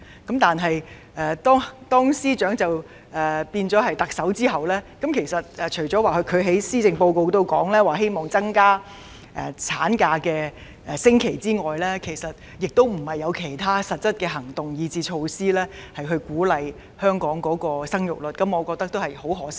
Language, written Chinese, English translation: Cantonese, 可是，當司長成為特首後，她除了在施政報告中表示希望增加產假的星期數目外，其實並沒有採取其他實質行動或措施鼓勵生育，我對此感到十分可惜。, Nevertheless it is a real regret that after she became the Chief Executive she has not taken any other substantive action or measure to encourage childbearing other than expressing in the policy address her wish of increasing the number of weeks of maternity leave